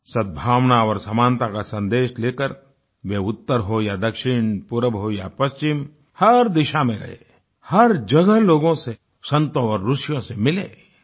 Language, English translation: Hindi, Carrying the message of harmony and equality, he travelled north, south, east and west, meeting people, saints and sages